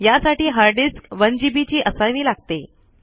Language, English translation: Marathi, This calls for hard disk space for about 1 GB